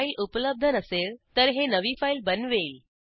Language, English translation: Marathi, If the file does not exist, it will create a new file